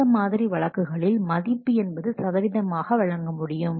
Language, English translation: Tamil, So in this case, the value can give in terms of percentage